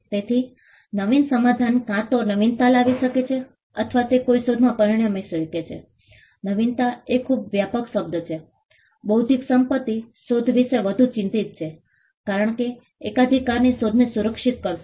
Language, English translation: Gujarati, So, an innovative solution could either result in an innovation or it could result in an invention, innovation is a very broad term intellectual property is more concerned about invention, because patents would protect inventions